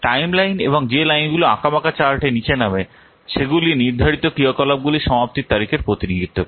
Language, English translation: Bengali, The timeline and the lines mending down the chart is represent the scheduled activity completion dates